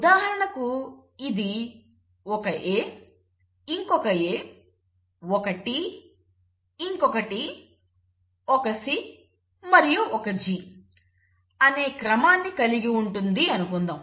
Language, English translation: Telugu, Let us say it has a sequence of an A, another A, a T, another T, say a C and a G